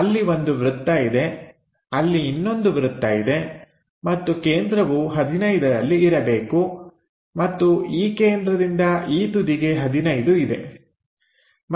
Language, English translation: Kannada, So, there is one circle, there is another circle and center supposed to be 15 and this center to this edge is 15